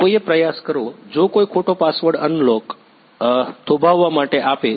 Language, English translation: Gujarati, Someone try to If someone gives the wrong password unlock unlock pause